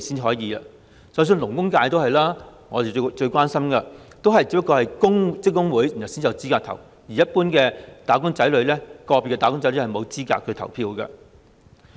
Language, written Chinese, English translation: Cantonese, 就連我最關心的勞工界，也是只有職工會才有資格投票，一般個別"打工仔女"是沒有資格投票的。, Even in the Labour FC that I am most concerned about only trade unions are eligible to vote . Individual wage earners are not eligible to vote